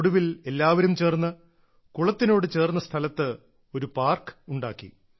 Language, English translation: Malayalam, Everyone got together and made a park at the place of the pond